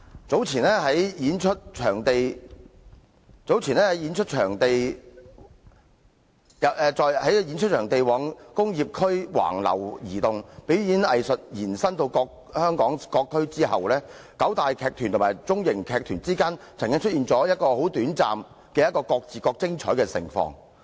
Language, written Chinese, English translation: Cantonese, 早年，在演出場地往工業區橫流移動，表演藝術延伸至香港各區後，九大藝團與中小型藝團之間曾經出現短暫的各自各精彩盛況。, Some years ago as performing venues spread all over to industrial areas and performing arts expanded into various districts in Hong Kong the nine major performing arts groups and smallmedium performing arts groups were able to thrive separately for a brief while